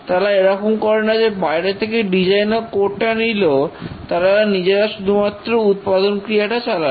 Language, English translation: Bengali, It's not that it just gets the design and code and just keeps on manufacturing